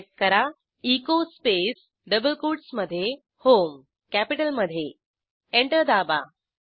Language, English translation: Marathi, Now, type echo space within double quotes HOME Press Enter